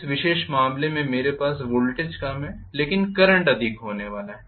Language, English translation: Hindi, In this particular case I am going to have voltage is lower but current is going to be higher